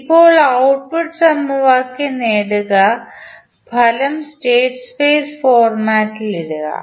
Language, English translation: Malayalam, Now, obtain the output equation and the put the final result in state space representation format